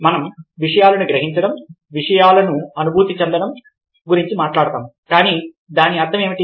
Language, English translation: Telugu, we talk about perceiving things, experiencing things, but what exactly does it mean